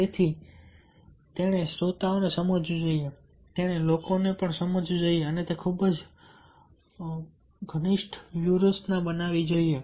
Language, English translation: Gujarati, so he should understand the audience, he should understand the people and accordingly he should adapt the strategy